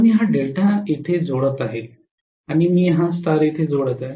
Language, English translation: Marathi, So I am connecting this delta here and I am connecting this star here